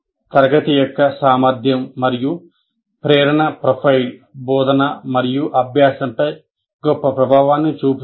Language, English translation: Telugu, So the ability and motivation profile of a class will have great influence on teaching and learning